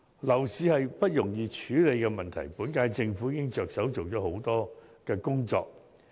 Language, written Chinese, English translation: Cantonese, 樓市是不容易處理的問題，本屆政府已着手做了許多工作。, Dealing with the property market is never an easy task and the current - term Government has already put a lot of efforts into it